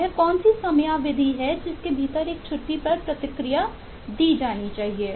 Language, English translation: Hindi, what is the timeline within which a leave must be reacted to